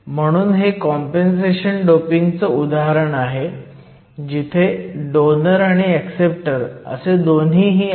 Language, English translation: Marathi, So, This is an example of compensation doping where we have both donors and acceptors